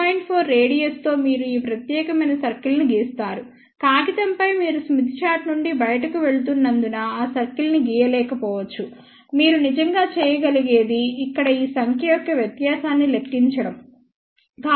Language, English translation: Telugu, 4 you draw this particular circle, on paper you may not be able to draw the circle as it is going out of the smith chart what you can actually do is just calculate the difference of this number here